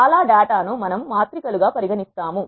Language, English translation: Telugu, Most of the data we will treat them as matrices